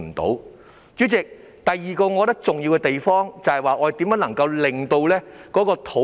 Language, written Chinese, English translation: Cantonese, 代理主席，第二個我覺得重要的地方是如何逐步落實發展土地。, Deputy President the second aspect which I regard as important is how to actualize land development in an orderly manner